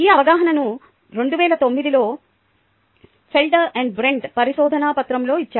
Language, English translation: Telugu, this understanding was given in the paper by felder and brent in two thousand nine